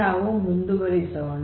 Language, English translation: Kannada, So, we will proceed further